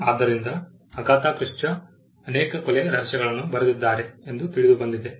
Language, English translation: Kannada, So, Agatha Christie is known to have written many murder mysteries